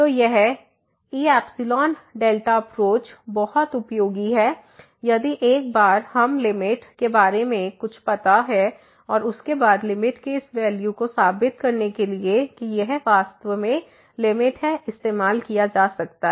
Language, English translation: Hindi, So, this epsilon delta approach will be very useful once we have some idea about the limit and then, this value of the limit can be used to prove that this is indeed the limit